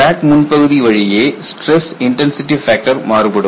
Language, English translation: Tamil, Along the crack front, the stress intensity factor varies